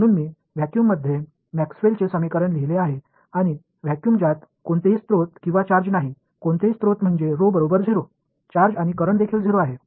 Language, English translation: Marathi, So, I have written down Maxwell’s equations in vacuum and vacuum which has no sources or charges, no sources means rho is 0, no and charges also 0 and current is also 0 right